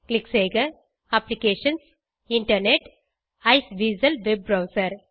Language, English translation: Tamil, Click on Applications Internet Iceweasel Web Browser